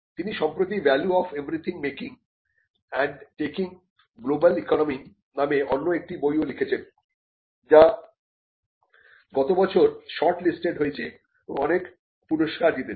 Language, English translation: Bengali, She has also recently written another book called the value of everything making and taking in the global economy, which is been shortlisted and which has won various awards last year